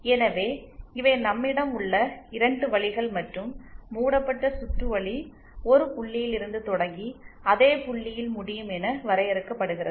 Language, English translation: Tamil, So, these are the 2 paths that we have and in the loop is defined as a, as a path which starts and ends at the same point